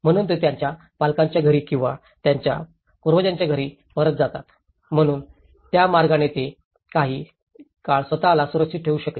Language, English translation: Marathi, So, they go back to their parental homes or their ancestral homes, so in that way, they could able to be secured themselves for some time